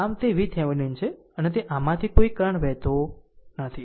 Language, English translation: Gujarati, So, it is V Thevenin and it no current is flowing through this